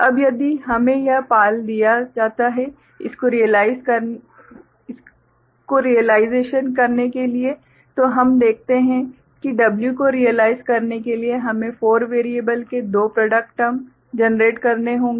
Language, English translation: Hindi, Now, if we have been given this you know PAL to realize it we see that for realizing W we need to generate two product term of four variables ok